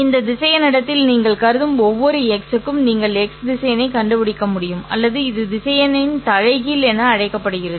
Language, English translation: Tamil, For every x that you consider in this vector space, you should also be able to find minus x vector or this is called as the inverse of the vector